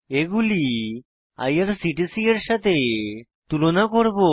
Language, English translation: Bengali, We will compare them with IRCTC